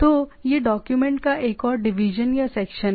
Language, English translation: Hindi, So, this is another thing division or section of the document